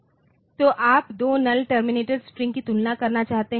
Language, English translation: Hindi, So, you want to compare two null terminated strings